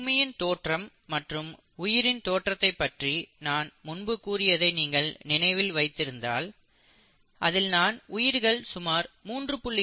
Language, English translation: Tamil, Now if you remember we were talking about the origin of the earth and the origin of life I had talked about that the life originated somewhere around here about 3